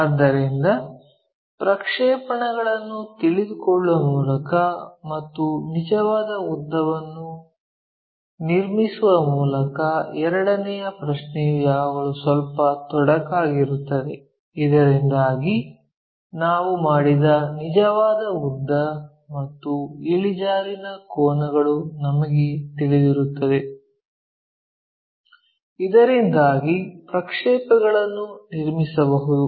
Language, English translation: Kannada, So, the second question by knowing projections and constructing the true length is always be slight complication involved, compared to the case where we know the true length and inclination angles made by that so, that we can construct projections